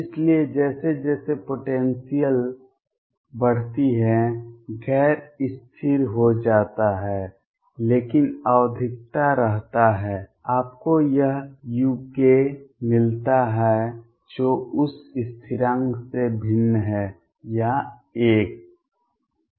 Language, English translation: Hindi, So, as the potential is increases becomes non constant, but remains periodic you get this u k which is different from that constant or 1